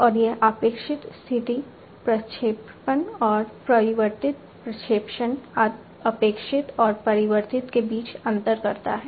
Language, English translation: Hindi, And it differentiates between the expected position projection and the altered projection expected and the altered